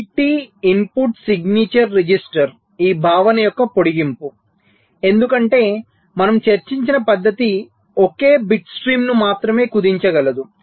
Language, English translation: Telugu, so multi input signature register is just an extension of this concept because, ah, the method that we have discussed is able to compress only a single bit stream